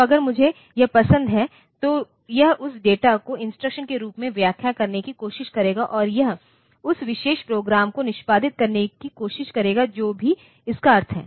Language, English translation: Hindi, So, if I do like this then it will try to interpret that data as instruction and it will try to do execute that particular program whatever be it is meaning